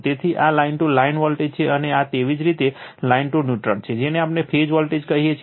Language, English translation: Gujarati, So, this is line to line voltage, and this is your line to neutral we call phase voltage